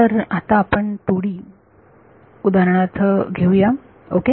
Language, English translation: Marathi, So let us take 2 D for example, ok